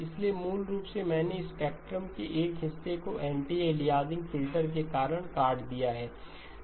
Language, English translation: Hindi, So basically I have chopped off a portion of the spectrum because of the anti aliasing filter